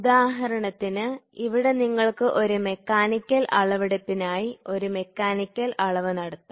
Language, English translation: Malayalam, For example, here you can have a mechanical measurement done for a mechanical measurement